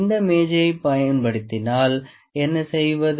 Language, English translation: Tamil, What if we use this table